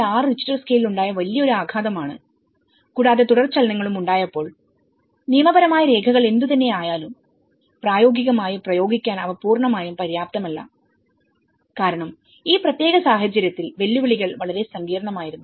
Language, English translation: Malayalam, 6 Richter scale and having the aftershocks and that whatever the legal documents, they were not fully adequate to be applied in practice because the challenges are very complex, in this particular scenario